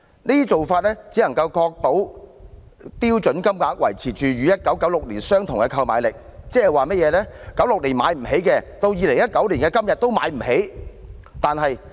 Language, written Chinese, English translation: Cantonese, 這種做法只能確保標準金額維持與1996年相同的購買力，即在1996年無法負擔的開支，到2019年的今天也無法負擔。, This practice can merely ensure that the purchasing power of the standard rate payments is maintained at the 1996 level . In other words expenses which were unaffordable back then in 1996 remain unaffordable today in 2019